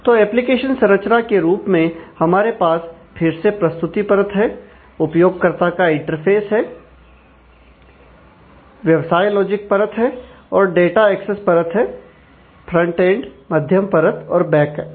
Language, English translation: Hindi, So, in terms of the application architecture again the presentation layer, or the user interface, business logic layer, and the data access layer, the frontend, the middle layer and the backend